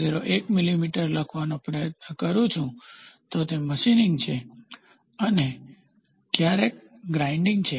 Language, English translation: Gujarati, 01 millimeter then, it is machining and sometimes grinding